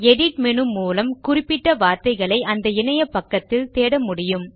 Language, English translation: Tamil, You can use the Edit menu to search for particular words within the webpage